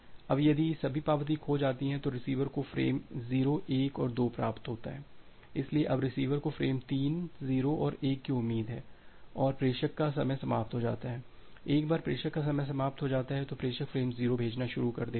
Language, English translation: Hindi, Now, if all the acknowledgement are lost the receiver has received frame 0 1 and 2 so, now, the receiver expecting frame 3 0 and 1 and sender gets a time out, once the sender gets the time out, sender starts sending frame 0